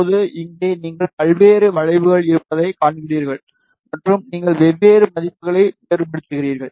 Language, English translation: Tamil, Now, here you see various curves are there, and you very different values is these curves are corresponding to those values